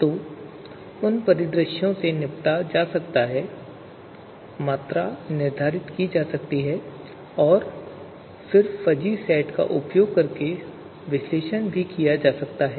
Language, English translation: Hindi, So those scenarios how they can be tackled and quantified and then you know analyzed is something that can be done using fuzzy sets